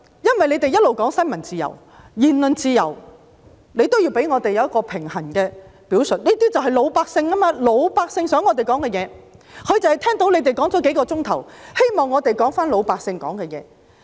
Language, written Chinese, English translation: Cantonese, 因為他們一直說新聞自由及言論自由，他們也要給我們一個平衡的表述，這些就是老百姓想我們說的話，老百姓就是聽到他們說了數小時，希望我們說回老百姓想說的話。, They also need to give us an opportunity to air some balanced views or the voice of the general public who want us to express here . The general public after listening to them for a few hours wish that we can convey their voice